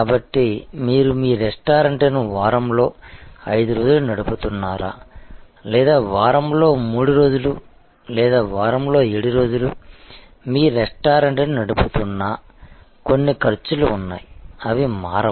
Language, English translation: Telugu, So, whether you run your restaurant 5 days in a week or you run your restaurant 3 days in a week or 7 days in a week, there are certain costs, which will remain unaltered like rent